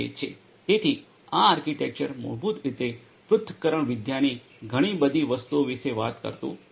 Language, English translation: Gujarati, So, this architecture basically does not talk about so many different things of analytics